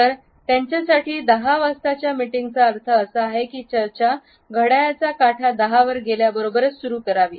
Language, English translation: Marathi, So, 10 O clock meeting means that the discussions have to begin at 10 o clock